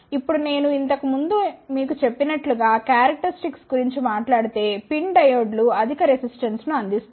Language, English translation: Telugu, Now, if I talk about the characteristics as I told you earlier the pin diodes offers high resistance